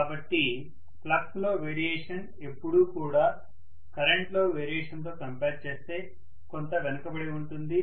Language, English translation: Telugu, So the variation in the flux is always you know kind of left behind as compared to the variation in the current